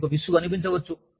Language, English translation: Telugu, You may feel bored